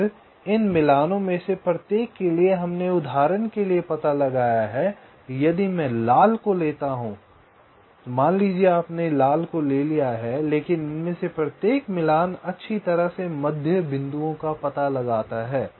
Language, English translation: Hindi, then, for each of these matchings we have found out, like, for example, if i take the red one, suppose you have take the red one, but each of these matchings, well, find the middle points